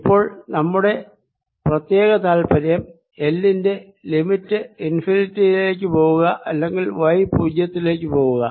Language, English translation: Malayalam, now of particular interest is: either you take limit l will go to infinity or y going to zero